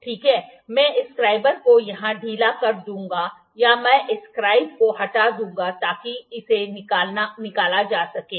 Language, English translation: Hindi, Ok, I will loosen the scriber here I will take off the scriber so it can be removed